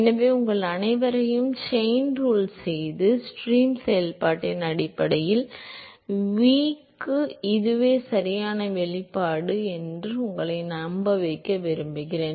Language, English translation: Tamil, So, I would like to urge all of you to do the chain rule and convince yourself that this was the correct expression for v in terms of the stream function